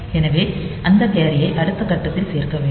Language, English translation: Tamil, So, that carry has to be added in the next phase